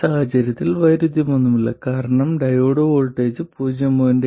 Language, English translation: Malayalam, And clearly in this case there is no contradiction because the diode voltage is 0